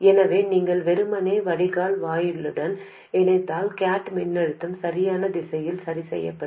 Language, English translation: Tamil, So if we simply connect the drain to the gate, the gate voltage will be adjusted in the correct direction